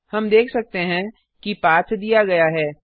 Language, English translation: Hindi, We can see that the path is given